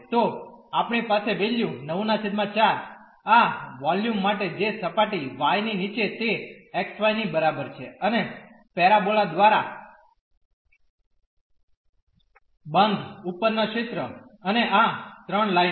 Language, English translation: Gujarati, So, we get the value 9 by 4 of this volume which is below the surface y is equal to x y and above the region close by the parabola and these 3 lines